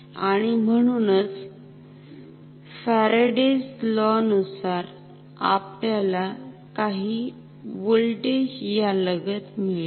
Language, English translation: Marathi, And therefore, we will have some according to Faraday’s law some voltage induced across this ok